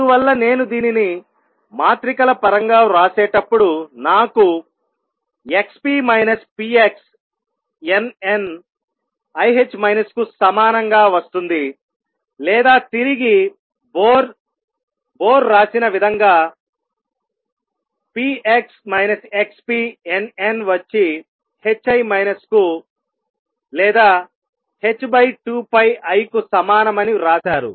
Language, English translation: Telugu, Therefore, when I write this in terms of matrices i get x p minus p x n, n equals i h cross or return the way Bohr wrote it p x minus x p n n equals h cross over i or h over 2 pi i